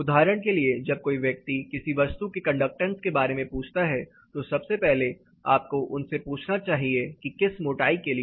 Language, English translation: Hindi, So, this is where when example when somebody says conductance of a material, the first thing you should asking them is for what thickness